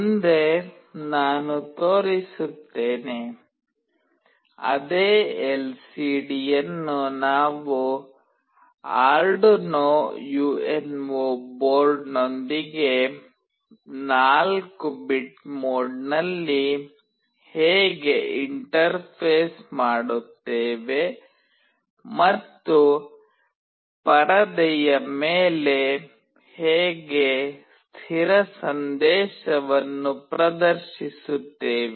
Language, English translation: Kannada, Next I will be showing, how do we interface the same LCD with Arduino UNO board in a 4 bit mode and display a fixed message on the screen